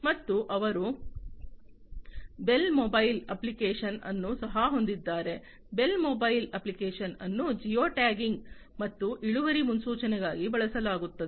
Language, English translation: Kannada, And they also have the bale mobile app the bale mobile app is used for geo tagging and yield forecasting